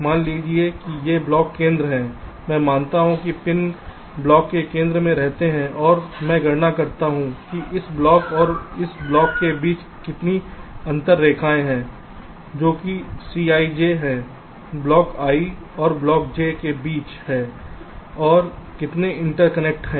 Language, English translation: Hindi, i assume that the pins are residing at the centers of blocks and i calculate how many interconnection lines are there between this block and this block, that is, c i j between block i and block j